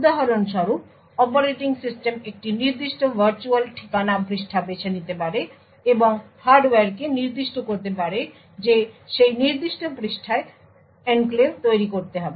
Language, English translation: Bengali, For example, the operating system could choose a particular virtual address page and specify to the hardware that the enclave should be created in this particular page